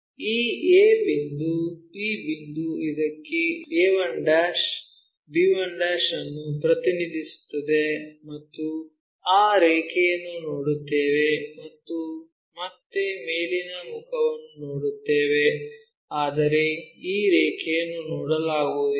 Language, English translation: Kannada, So, a point b points maps to this a 1' b 1' and we will see that line and again top face we will see that, but this line we cannot really see